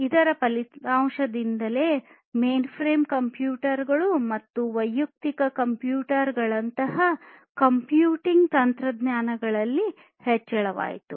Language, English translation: Kannada, So, the result was increase in computing technologies such as mainframe computers, personal computers, etc